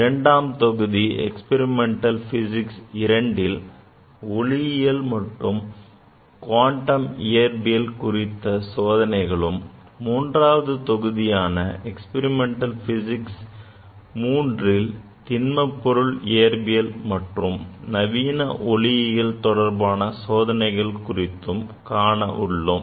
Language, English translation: Tamil, In module 2, the experimental physics II, we will discuss about the experiments on optics and quantum physics and in 3rd module, the experimental physics III, we will discuss experiments on solid state physics and modern optics